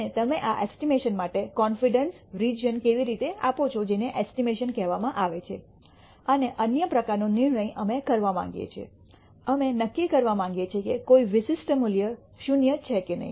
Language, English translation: Gujarati, And how do you give a confidence region for these estimates that is called estimation and the other kind of decision making that we want to do is; we want to judge whether particular value is 0 or not